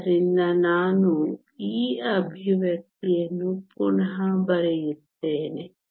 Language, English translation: Kannada, Let me then rewrite this expression again